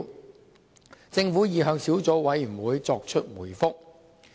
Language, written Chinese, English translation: Cantonese, 就此，政府已向小組委員會作出回覆。, The Government has given its reply to the Subcommittee in this connection